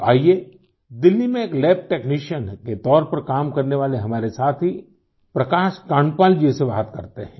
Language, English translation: Hindi, So now let's talk to our friend Prakash Kandpal ji who works as a lab technician in Delhi